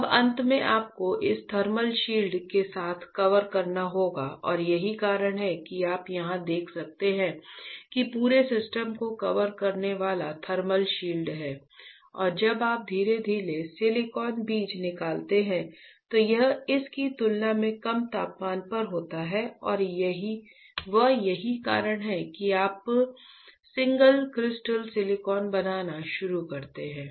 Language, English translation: Hindi, Now, finally you have to cover this with a thermal shield and that is why you can see here there is a thermal shield covering the entire system right and when you pull out the silicon seed slowly, this is at lower temperature compared to this one and that is why you start forming the single crystal silicon